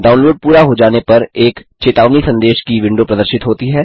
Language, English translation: Hindi, Once the download is complete, a warning message window appears